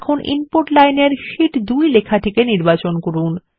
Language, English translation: Bengali, Now select the text Sheet 2 in the Input Line